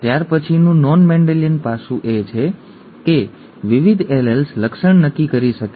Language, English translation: Gujarati, The next non Mendelian aspect is that, multiple alleles can determine a trait